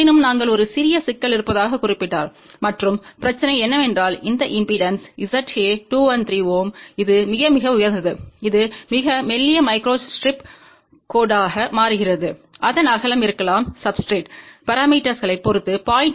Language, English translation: Tamil, However we had noted that there is a small problem, and the problem is that this impedance Z a is 213 ohm, which is very very high which results into a very thin microstrip line, the width of that may be of the order of 0